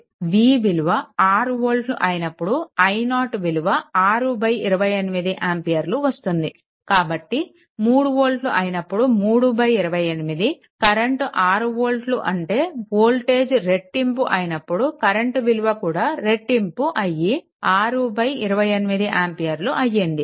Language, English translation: Telugu, When a v is equal to 6 volt, you see i 0 is equal to 6 by your what you call 28 ampere right so; that means, when it is 3 volt it is 3 by 28 when it is 6 volts voltage is doubled, current also doubled 6 by 28 ampere